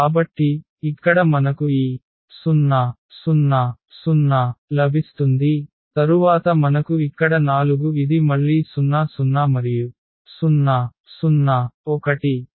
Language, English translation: Telugu, We get this 0 0 0 and then we have here 4 this again 0 0 and 0 0 1